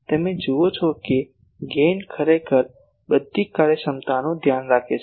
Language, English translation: Gujarati, So, you see that gain actually takes care of all this efficiencies